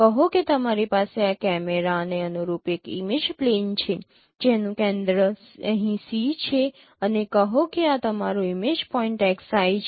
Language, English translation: Gujarati, i, see you have a image plane corresponding to this camera whose center is here see and say and say this is your image point xI